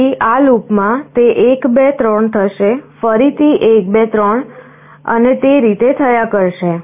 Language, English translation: Gujarati, So in this loop, it will go along 1, 2, 3 again 1, 2, 3 like this